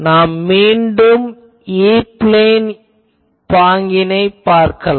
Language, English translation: Tamil, So, let us see in the E plane pattern again